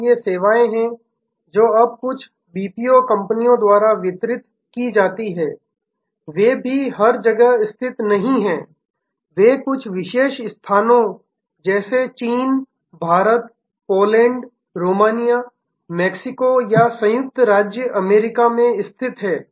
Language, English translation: Hindi, So, these services, which are now, delivered by certain BPO companies are also not located everywhere they are also located at certain places like China, India, Poland, Romania, Mexico, USA on the basis of the expertise certain kind of expertise